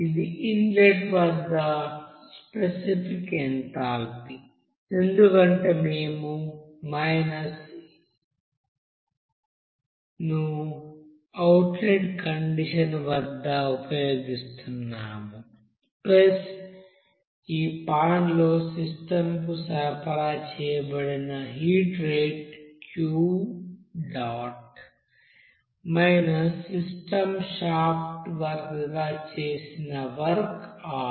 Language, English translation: Telugu, That is specific enthalpy at the inlet, since we are using at minus at the outlet condition plus heat supplied to the system here in this pan at a rate minus work done by the system here as a shaft work